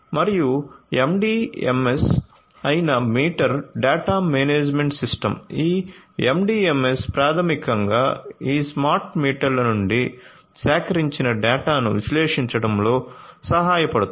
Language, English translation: Telugu, And the meter data management system which is the MDMS this MDMS basically helps in analyzing the data that are collected from these smart meters